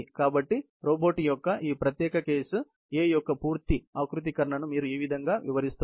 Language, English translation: Telugu, So, this is how you are describing the full configuration of this particular case A of the robot